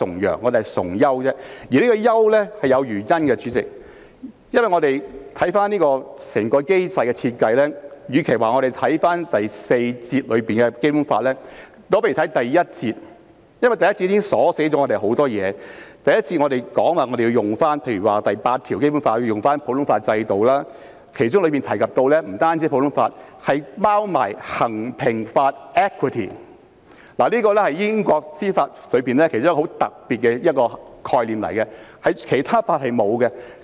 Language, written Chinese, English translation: Cantonese, 主席，優是有原因的，關於這個機制的設計，與其說我們要看《基本法》第四章第四節，不如看第一章，因為第一章已鎖定了很多事項，例如根據《基本法》第八條，我們要採用普通法制度，其中提及的不單有普通法，還有衡平法，這是英國司法其中一個很特別的概念，其他法系是沒有的。, Concerning the design of this mechanism instead of saying that we need to look at Section 4 of Chapter IV of the Basic Law let us look at Chapter I because Chapter I has already laid down a number of fixed rules . For example according to Article 8 of the Basic Law we shall adopt the common law system . Reference is made to not only the common law but also rules of equity which is a special concept in the administration of justice in the United Kingdom absent in other legal systems